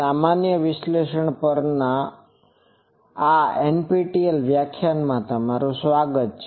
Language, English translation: Gujarati, Welcome to this NPTEL lecture on generalized analysis